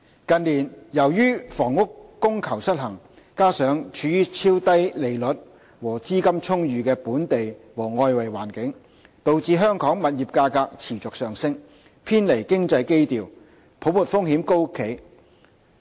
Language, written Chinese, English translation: Cantonese, 近年，由於房屋供求失衡，加上超低利率和資金充裕的本地和外圍環境，導致香港物業價格持續上升，偏離經濟基調，也令泡沫風險高企。, In recent years due to the housing demand - supply imbalance coupled with ultra - low interest rates and abundant liquidity in the domestic and external environment property prices in Hong Kong have been on the rise and out of line with economic fundamentals with heightened risks of a bubble